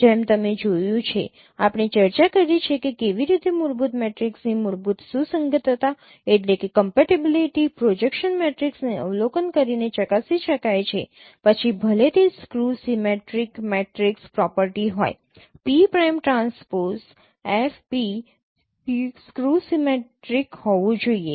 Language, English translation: Gujarati, Like you have observed, you have discussed how fundamental compatibility of fundamental matrix with pairs of projection matrices could be tested by observing whether it is that there is a skew symmetric matrix property, p prime transpose f, p should be skew symmetricsics